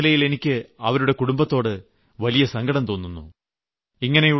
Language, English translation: Malayalam, Being a woman, I feel an empathy with her family